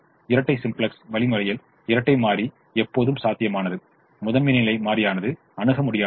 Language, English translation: Tamil, in the dual simplex algorithm the dual is feasible, the primal is infeasible